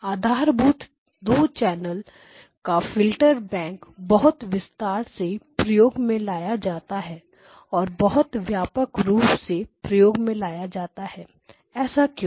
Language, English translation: Hindi, So, this is the basic 2 channel filterbank used very extensively in all these applications Why